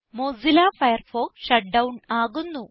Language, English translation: Malayalam, Mozilla Firefox shuts down